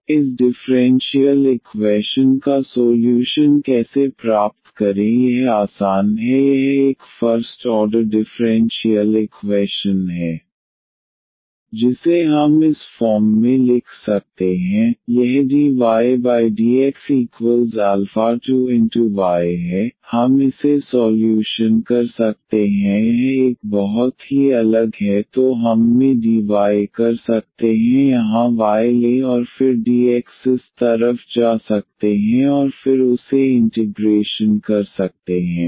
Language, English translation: Hindi, So, how to get the solution of this differential equation that is easy it is a first order differential equation we can write down this form this is dy over dx and minus is alpha 2 y is equal to alpha 2 y because this was minus alpha 2 y, so we taken the right side and this we can solve it is a very separable here so dy in we can take y here and then dx can go to this side and then make it integrate